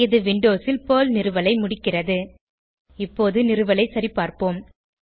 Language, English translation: Tamil, This completes the installation of PERL on Windows